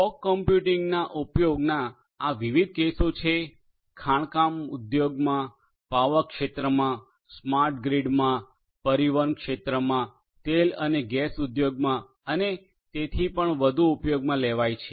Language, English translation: Gujarati, There are different different use cases of use of fog, fog computing could be used in mining industry, in the power sector, smart grid etcetera, in transportation sector, in oil and gas industry and so on